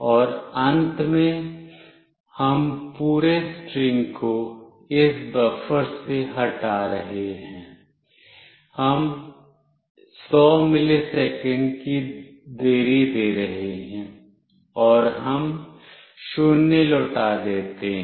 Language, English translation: Hindi, And finally, from this buffer we are removing the entire string, we are giving a 100 milliseconds delay, and we return 0